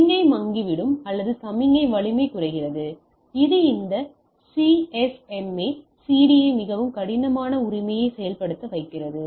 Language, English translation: Tamil, So, the signal fades off or the signal strength comes down which makes this CSMA/CD to implement much difficult right